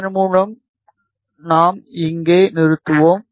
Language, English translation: Tamil, With this we will stop here